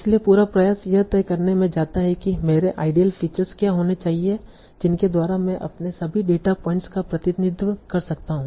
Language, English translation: Hindi, So the whole effort goes in deciding what should be my ideal features by which I can represent all my data points